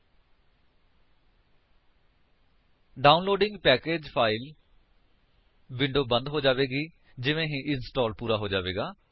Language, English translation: Punjabi, Downloading Package File window will be closed as soon as the installation gets completed